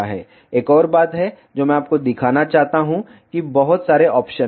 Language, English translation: Hindi, There is one more thing that I want to show you there are too many options